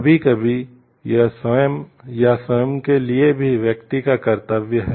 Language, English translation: Hindi, Sometimes it is a duty for person to himself or herself also